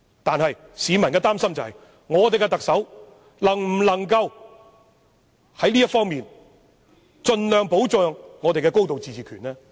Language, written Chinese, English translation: Cantonese, 但是，市民感到擔憂的是，現任特首能否在這方面盡量保障我們的高度自治權呢？, On the other hand the people are worried about whether the incumbent Chief Executive can protect as much as possible our right to a high degree of autonomy in this regard